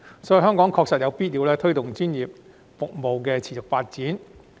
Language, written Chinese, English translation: Cantonese, 所以，香港確實有必要推動專業服務的持續發展。, It is therefore really necessary for Hong Kong to promote the continued development of its professional services